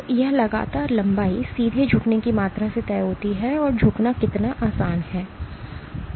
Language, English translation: Hindi, So, this persistent length is directly is dictated by the amount of bending rigidity how easy is it to bend